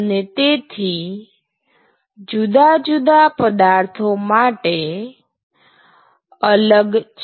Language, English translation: Gujarati, So, they will be different for different materials